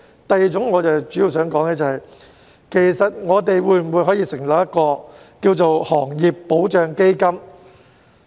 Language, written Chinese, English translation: Cantonese, 第二，我主要想說的是，我們可否成立行業保障基金呢？, Second I mainly wish to talk about the possibility of setting up industry protection funds such as setting up one for takeaway delivery workers